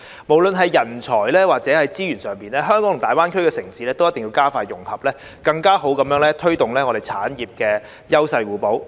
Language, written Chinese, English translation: Cantonese, 不論是人才或資源上，香港與大灣區城市都需要加快融合，更好地推動產業優勢互補。, In terms of supply of talents or resources Hong Kong and GBA cities need to speed up their integration to better promote the complementary advantages of their industries